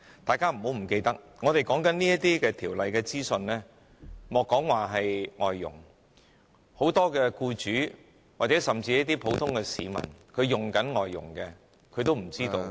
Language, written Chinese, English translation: Cantonese, 大家不要忘記，說到這些有關法例的資訊，莫說是外傭，很多僱主或僱用外傭的普通市民也不知道。, Let us not forget that when it comes to information on the legislation even many employers or ordinary citizens who are employers of foreign domestic helpers have no idea about it let alone foreign domestic helpers